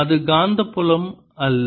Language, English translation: Tamil, it is not the magnetic field